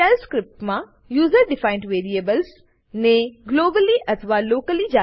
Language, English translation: Gujarati, * In Shell script, user defined variables can be declared globally or locally